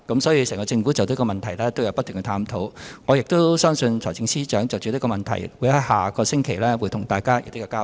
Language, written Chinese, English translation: Cantonese, 所以，整個政府不停地探討有關問題，我相信財政司司長也會在下星期就這問題對大家作出交代。, Thus the whole Government has kept reviewing the problems and I believe the Financial Secretary will give an account to Members on this issue next week